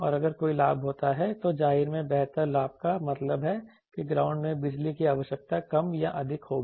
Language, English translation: Hindi, And also if any gain is, obviously better gain means power requirement will be less or more range in the ground